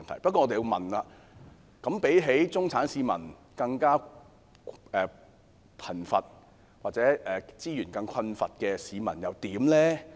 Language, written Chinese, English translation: Cantonese, 不過，我們要問，相比中產市民，更貧窮或資源更困乏的市民又如何？, However what about the people who are poorer or have less resources than the middle class?